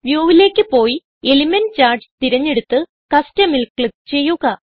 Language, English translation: Malayalam, Go to View, select Element Charts and click on Custom